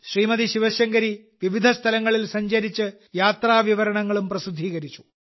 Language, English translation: Malayalam, Shiv Shankari Ji travelled to different places and published the accounts along with travel commentaries